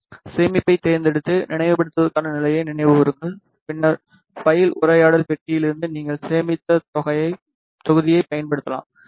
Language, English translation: Tamil, In order to recall select save and recall then recall state and then from file dialogue box you can use the sate that you have saved, ok